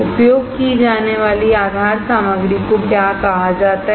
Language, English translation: Hindi, What is the base material that is used is called